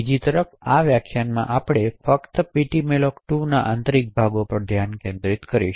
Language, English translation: Gujarati, In this lecture on the other hand we will be only focusing on the internals of ptmalloc2